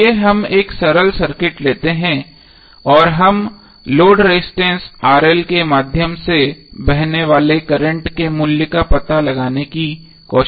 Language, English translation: Hindi, Let us take one simple circuit and we will try to find out the value of current flowing through the load Resistance RL